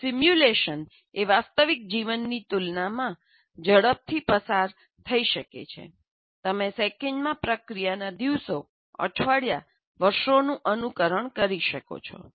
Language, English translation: Gujarati, As simulation can run through time much quicker than real life, you can simulate days, weeks or years of a process in seconds